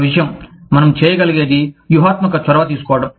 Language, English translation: Telugu, One thing, that we can do is, taking a strategic initiative